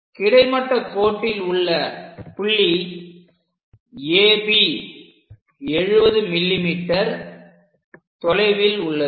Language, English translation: Tamil, So, AB points on a horizontal line; these are 70 mm apart